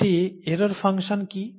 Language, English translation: Bengali, What is an error function